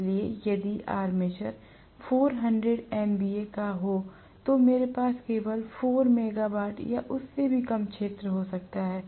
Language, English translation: Hindi, So if the armature is having 400 MVA I may have the field to be only about 4 megawatt or even less